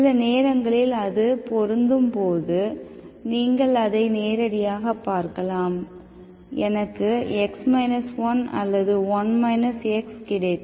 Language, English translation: Tamil, Sometimes when it is matching, directly you may see that, I may get x minus1 or 1 minus x, okay